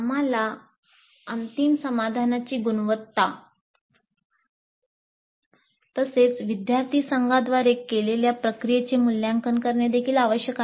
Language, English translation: Marathi, We also need to assess the final solution, the quality of the final solution produced, as well as the process followed by the student teams